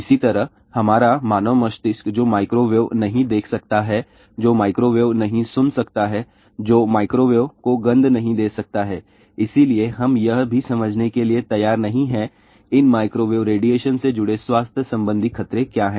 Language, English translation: Hindi, Similarly, our human brain which cannot see microwave, which cannot hear microwave, which cannot smell microwave , so we are not willing to understand also what are the health hazards associated with these microwave radiation